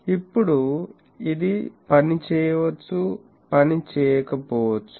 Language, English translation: Telugu, Now, this may work, may not work